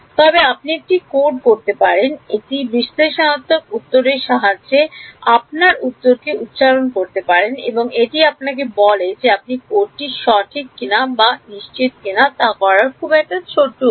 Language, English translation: Bengali, But you can code it and superpose your answer with this analytical answer and that tells you that you know whether your code is correct or not sure short way